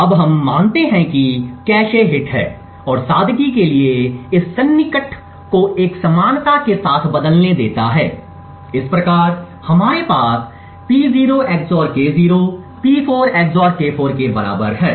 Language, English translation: Hindi, Now let us assume that there is a cache hit and for simplicity lets replace this approximation with an equality thus we have P0 XOR K0 is equal to P4 XOR K4